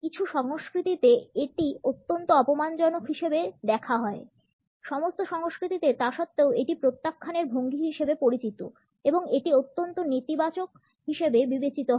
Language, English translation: Bengali, In some cultures it is seen as an extremely insulting one; in all cultures nonetheless it is a posture of rejection and it is considered to be a highly negative one